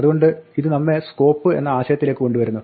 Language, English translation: Malayalam, So, this brings us to a concept of Scope